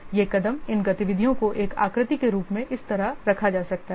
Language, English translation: Hindi, These steps, these activities can be put in the form of a figure like this